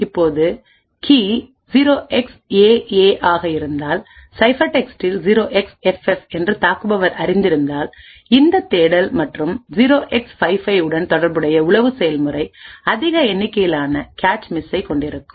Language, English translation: Tamil, Now if the key is 0xAA and the attacker knows that the ciphertext is 0xFF, then corresponding to this lookup plus 0x55 the spy process would see an increased number of cache misses